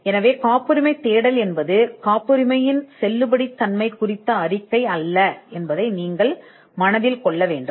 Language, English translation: Tamil, So, you need to bear in mind that a patentability search is not a report on the validity of a patent